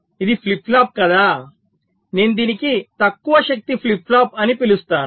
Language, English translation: Telugu, so this is a flip flop which i call a low power flip flop